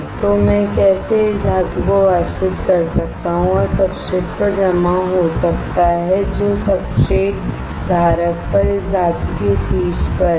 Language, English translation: Hindi, So, how can I evaporate this metal and deposit on the substrate which is on the top of this metal on the substrate holder